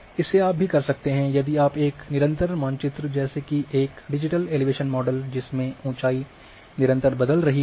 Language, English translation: Hindi, You can also if you are having a continuous map like a digital elevation model in which elevation are changing in continuous passion